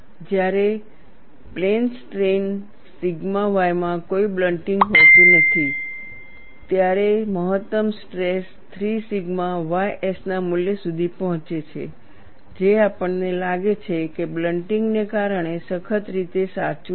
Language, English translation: Gujarati, When there is no blunting in plane strain the sigma y, the maximum stress reaches the value of 3 sigma ys, which we find is not strictly correct, because of blunting, this was pointed out by Irwin